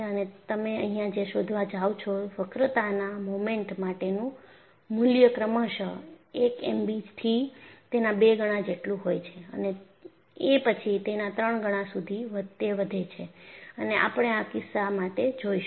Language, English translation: Gujarati, And what you find here is the value of the bending moment is progressively increased from 1M b to twice of that, and then thrice of that, and we will look at for this case